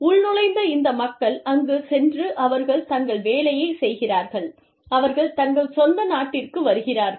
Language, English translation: Tamil, Inpatriates, these people go there, they do their work, and they come back, to their home country